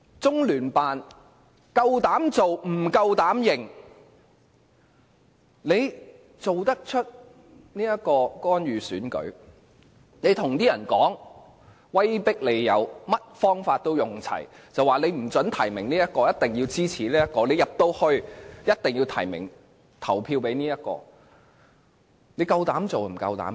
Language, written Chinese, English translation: Cantonese, 中聯辦膽敢做不膽敢認，作出干預選舉的行動，向選委威迫利誘，用盡所有方法，不准提名這位，一定要支持那位，一定要提名及投票給那位，他們膽敢做不膽敢認。, LOCPG dares interfere in the election but dares not admit it . It has resorted to various means to intimidate or induce EC members prohibiting them from nominating this candidate and forcing them to nominate and vote for that candidate . LOCPG dares not admit such outrageous actions